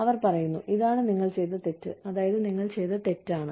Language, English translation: Malayalam, And say, hey, this is what you did wrong, and that is, what you did wrong